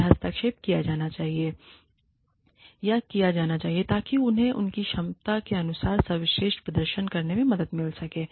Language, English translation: Hindi, And, interventions can be, or should be made, in order to help them perform, to the best of their ability, as far as possible